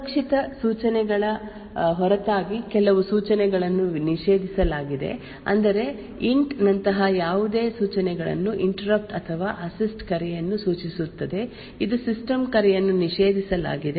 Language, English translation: Kannada, Besides the safe instructions there are certain instructions which are prohibited any instructions like an int which stands for an interrupt or assist call which stands for a system call is prohibited